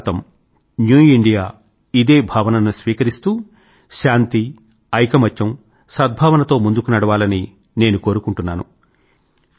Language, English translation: Telugu, It is my hope and wish that New India imbibes this feeling and forges ahead in a spirit of peace, unity and goodwill